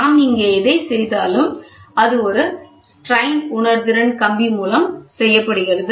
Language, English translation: Tamil, So, this fixing whatever we do here, this is done by a strain sensitive wire